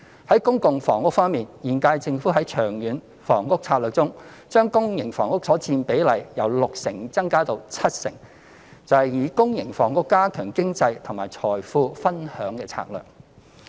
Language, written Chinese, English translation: Cantonese, 在公共房屋方面，現屆政府在《長遠房屋策略》中，將公營房屋所佔比例由六成增加至七成，便是以公營房屋加強經濟及財富分享的策略。, As for public housing by raising the share of public housing under the Long Term Housing Strategy from 60 % to 70 % the current - term Government strives to promote the sharing of wealth and fruits of economic growth through the supply of public housing